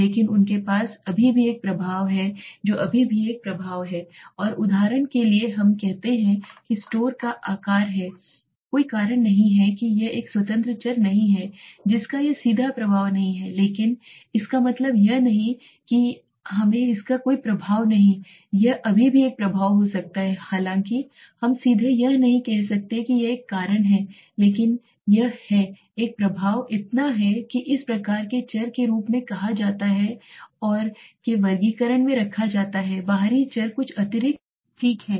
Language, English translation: Hindi, But they do still have an impact they still have an impact and for example let us say store size is not a cause it is not an independent variable it is not directly effecting but it does not mean it has no effect it may still have a effect so that is although we cannot say directly it is a cause but it has an impact so that is these kinds of variables are termed as and are put in the classification of extraneous variables something extra okay